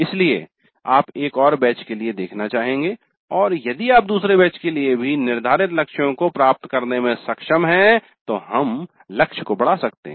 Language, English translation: Hindi, So we would like to see for one more batch and if you are able to attain the set targets even for the second batch then we would like to enhance the target